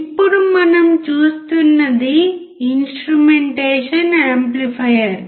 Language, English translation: Telugu, Now, what we see is the instrumentation amplifier